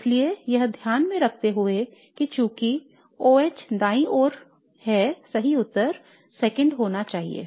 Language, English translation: Hindi, So keeping that in mind now since OH is on the right I would predict that 2 should be the correct answer